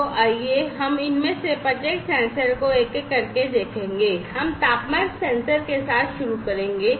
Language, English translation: Hindi, So, let us look at each of these sensors one by one so, we will start with the temperature sensor